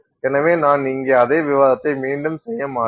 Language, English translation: Tamil, So, I will not redo the discussion here